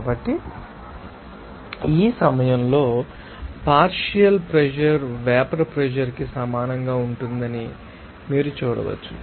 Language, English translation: Telugu, So, at this point, you can see that simply partial pressure will be equal to vapour pressure